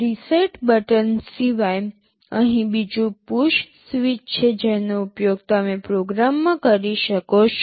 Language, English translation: Gujarati, Other than the reset button there is another push switch here which you can use in a program